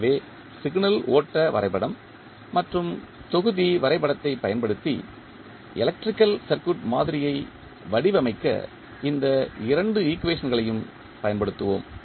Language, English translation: Tamil, So, we will use these two equations to model the electrical circuit using signal flow graph and the block diagram